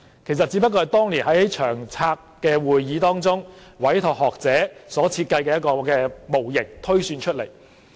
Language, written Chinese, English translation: Cantonese, 其實這個指標是由當年長遠房屋策略督導委員會委託學者設計的一個模型推算出來。, The indicator was the projection of a model designed by scholars commissioned by the Long Term Housing Strategy Steering Committee back then